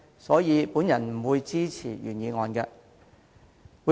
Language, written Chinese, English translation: Cantonese, 所以，我不會支持原議案。, Hence I will not support the original motion